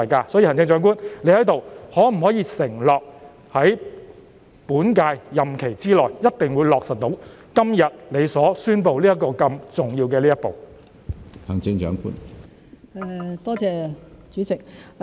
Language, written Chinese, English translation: Cantonese, 因此，行政長官，你可否在此承諾，一定會在本屆任期之內，落實你今天宣布的如此重要的一步？, Therefore Chief Executive could you undertake here that you will definitely take such an important step which you have announced today within your current term of office?